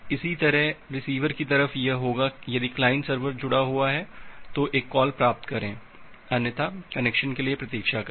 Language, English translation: Hindi, Similarly at the receiver side it will be if connected, then make a receive call; else wait for the connection